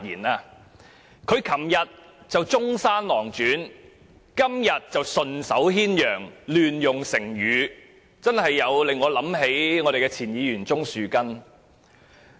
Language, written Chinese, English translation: Cantonese, 他昨天說《中山狼傳》，今天則說順手牽羊，亂用成語，他不禁令我想起前議員鍾樹根。, Yesterday he talked about Zhongshan Lang Zhuan . Today he talked about picking up a sheep in passing . His misuse of metaphors has brought to mind the former Member Mr Christopher CHUNG